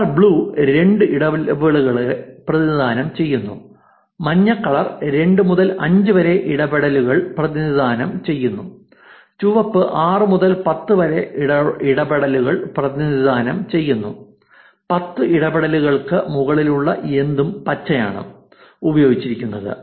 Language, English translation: Malayalam, The colors are blues is two interactions, yellows are two to five interactions, red is 6 to 10 interactions, anything that was above 10 interactions, which was actually given green